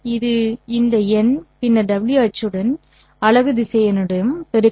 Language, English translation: Tamil, So, I have to multiply this one by the unit vector